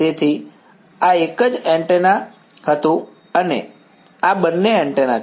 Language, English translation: Gujarati, So, this was a single antenna and this is both antennas